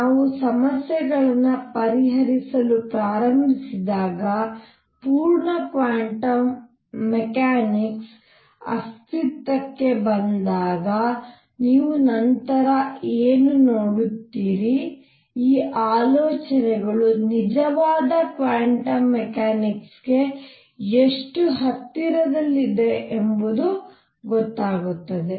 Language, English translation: Kannada, And what you will see later when the full quantum mechanics comes into being when we start solving problems with that that how close to true quantum mechanics these ideas came